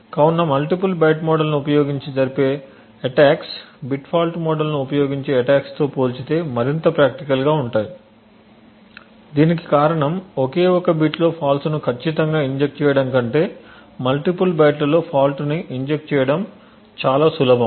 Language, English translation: Telugu, So, attacks which use the multiple byte model is more practical compare to the attacks which use bit fault model, this is due to the fact that it is easier to inject faults in multiple bytes then to inject faults in precisely one single bit